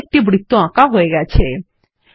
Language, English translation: Bengali, A circle is drawn on the page